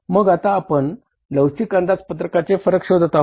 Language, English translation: Marathi, Then now we go for the flexible budget variances